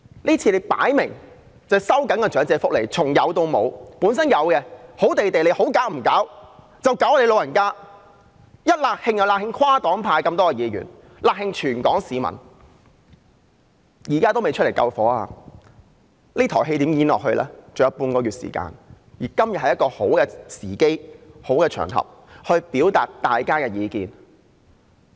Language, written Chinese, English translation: Cantonese, 這次明顯是收緊長者福利，從有到無，原本好好的，其他方面你們不搞，卻要搞老人家，"辣㷫"跨黨派議員、"辣㷫"全港市民，現在還未走出來救火，還有半個月時間，這台戲如何演下去？, Just when we thought things were going well they targeted the elderly while leaving other issues untouched thereby enraging Members from across parties and all Hong Kong people alike . Now they have yet to come forward to cool things down . With half a month left how is this farce going to end?